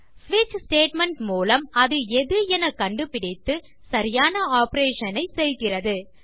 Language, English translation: Tamil, And through a switch statement it detects which one and performs the relevant operation to it